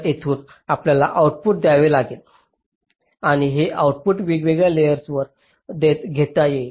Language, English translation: Marathi, so from here you have to take an output, and this output can be taken on different layers